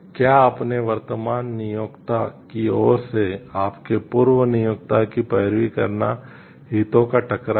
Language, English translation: Hindi, Does lobbying your former employer on behalf of your current employer constitute a conflict of interest